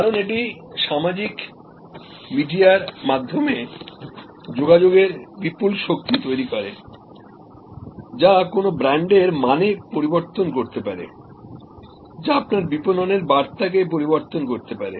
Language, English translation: Bengali, Because, that creates this tremendous power of communication through social media, that can change the meaning of a brand, that can change your marketing message